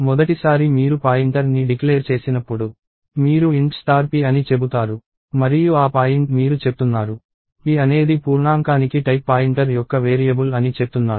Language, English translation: Telugu, First time when you declare a pointer, you say int star p and that point you are saying that p is a variable of type pointer to integer